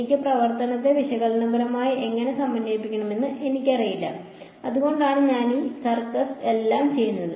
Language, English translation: Malayalam, I do not know how to integrate my function analytically that is why I am doing all of this circus